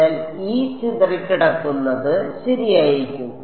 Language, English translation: Malayalam, So, this is equal to E scattered ok